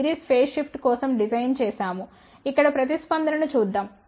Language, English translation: Telugu, 5 degree phase shift so let's see the response here